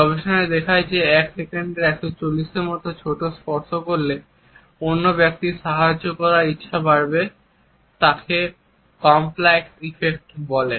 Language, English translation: Bengali, Can you get me that report; research shows that touch as short as 140 of a second will increase that other person’s willingness to help it is called the compliance effect